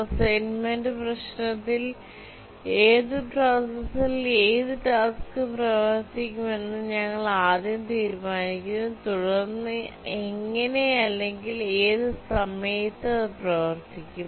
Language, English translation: Malayalam, In the assignment problem, we first decide which task will run on which processor and then how or what time will it run